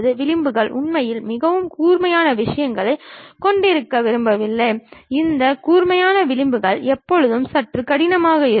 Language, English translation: Tamil, Edges we do not want to really have very sharp things, making these sharp edges always be bit difficult also